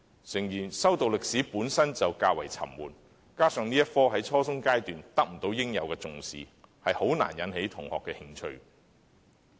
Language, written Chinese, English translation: Cantonese, 誠然，修讀歷史本身便較為沉悶，加上這科目在初中階段得不到應有的重視，很難引起同學的興趣。, Admittedly it is rather boring to study history coupled with the subject not being accorded its due importance it is difficult to arouse students interest